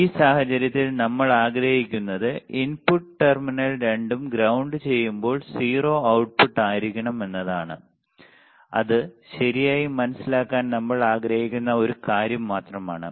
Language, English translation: Malayalam, In this case what we are desired thing is the output should be at 0 when we are grounding both the input terminal, that is only one thing that we want to understand right